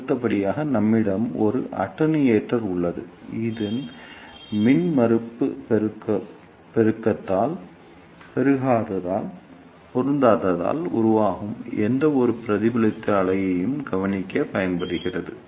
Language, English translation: Tamil, And next we have a attenuator which is used to attenuate any reflected wave generated due to the impedance mismatching